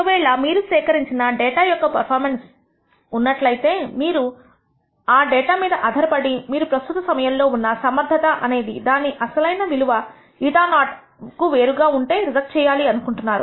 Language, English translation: Telugu, If you have per performance data that you collect then you based on the data you want to reject whether this efficiency at current time is different from its original value eta naught